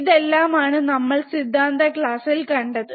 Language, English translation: Malayalam, So, like I said and I have taught you in my theory class